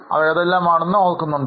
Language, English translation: Malayalam, Do you remember what else is there